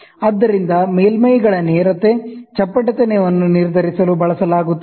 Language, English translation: Kannada, So, are used to determine the straightness, flatness of surfaces